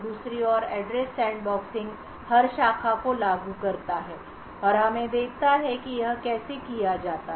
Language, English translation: Hindi, The Address Sandboxing on the other hand enforces every branch and let us sees how this is done